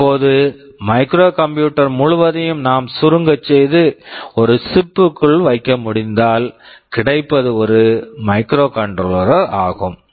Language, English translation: Tamil, Now, if the whole of the microcomputer we can shrink and put inside a single chip, I get a microcontroller